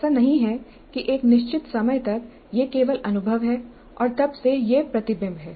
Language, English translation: Hindi, It is not that up to certain point of time it is only experience and from then onwards it is reflection